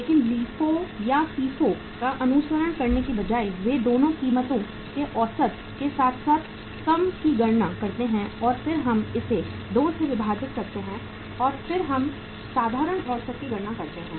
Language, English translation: Hindi, So rather than following LIFO or FIFO they calculate the average of both the prices high as well as low and then we divide it by 2 and then we calculate the simple average